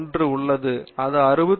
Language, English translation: Tamil, 1 here, that is 68